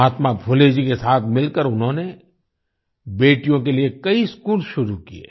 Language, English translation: Hindi, Along with Mahatma Phule ji, she started many schools for daughters